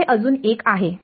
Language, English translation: Marathi, There is one more